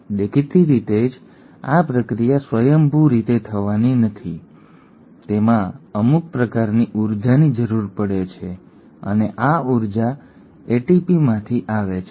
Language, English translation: Gujarati, Obviously this process is not going to happen spontaneously, it does require some sort of energy and this energy comes from ATP